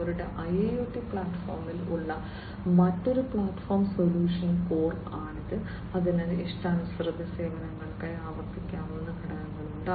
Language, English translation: Malayalam, The other platform the other component that they have in their IIoT platform is the solution core, which has replicable components for custom services